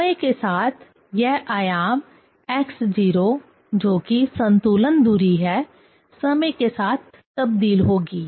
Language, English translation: Hindi, With time this amplitude x 0, the equilibrium distance with time will vary, right